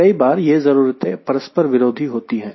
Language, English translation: Hindi, many times this requirements are conflicting